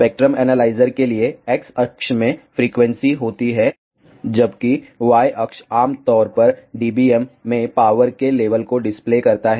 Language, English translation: Hindi, For the spectrum analyzer X axis consists of frequency whereas, the Y axis displays the power levels typically in DBM